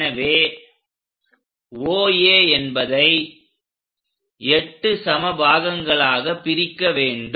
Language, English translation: Tamil, Now, divide that into 8 equal parts